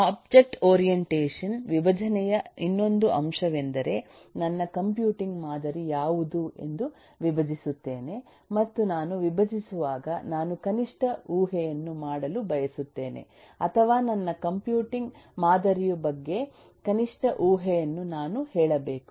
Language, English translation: Kannada, So the other aspect of object orientation, decomposition, is also to keep in mind that I decompose what is my computing model, and when I decompose I want to make minimum assumption, or rather I should say a minimal assumption about my computing model